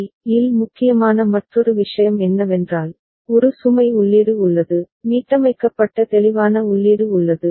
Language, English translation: Tamil, The other thing important in this particular IC is that there is a load input, there is a clear input that is reset